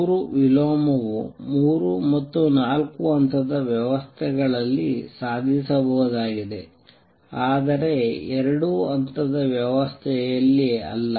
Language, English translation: Kannada, Three inversion is achievable in three or four level systems, but not in a two level system